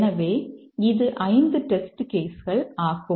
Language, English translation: Tamil, So, that is 5 test cases